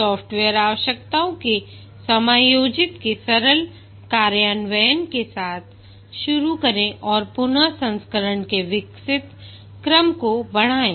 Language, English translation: Hindi, Start with a simple implementation of a subset of the software requirements and iteratively enhance the evolving sequence of versions